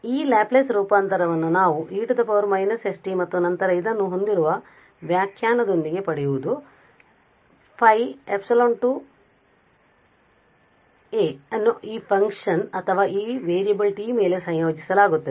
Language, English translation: Kannada, So, getting this Laplace transform with the definition we have e power minus s t and then this phi epsilon t will be integrated over this function or this variable t